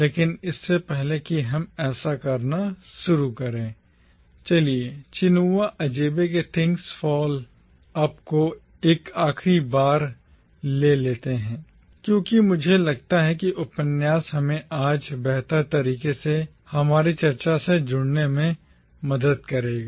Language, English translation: Hindi, But before we start doing that, let us take up Chinua Achebe’s Things Fall Apart for one last time because I think that novel will help us connect with our discussion today better